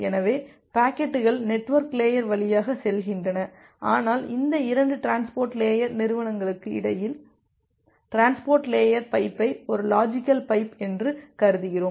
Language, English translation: Tamil, So, the packets are going via the network layer, but we are considering transport layer pipe a logical pipe between these 2 transport layer entity